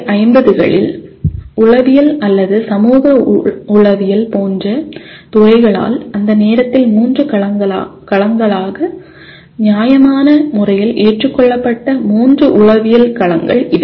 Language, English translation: Tamil, These are the three psychological domains which were fairly accepted as three domains at that time by disciplines like psychology or social psychology in 19 by 1950s